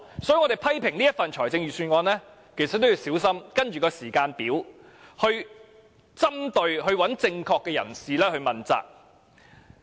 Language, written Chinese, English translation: Cantonese, 所以，就這份預算案作出批評時也得小心，必須按時間表針對正確的人士，向他問責。, Therefore we must be careful when criticizing the Budget because we must target on the right person with reference to this chronological order